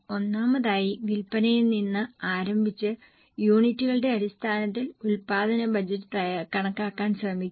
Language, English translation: Malayalam, Firstly starting with the sales try to compute the production budget in terms of units